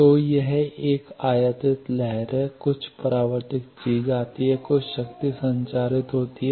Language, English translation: Hindi, So, I have an incident wave some reflected thing comes, some power gets transmitted